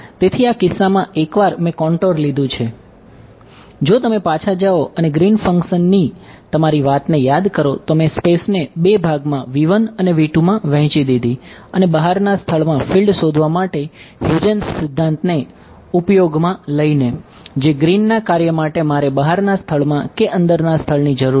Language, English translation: Gujarati, So, in this case once since I have taken the contour to be if you go back and recall your discussion of the Green's function I divided space into 2 volumes v 1 and v 2 in Huygens principle for finding out the field in the outside region which Green's function do I need the outside region or the inside region